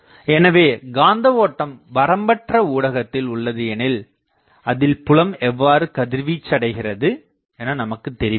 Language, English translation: Tamil, So, we do not know if a magnetic current is present in an unbounded medium how fields radiate